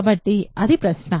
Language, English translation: Telugu, So, that is the question